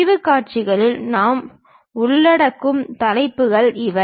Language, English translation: Tamil, These are the topics what we will cover in sectional views